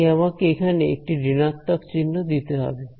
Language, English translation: Bengali, So, that is why I have to put a minus sign over here ok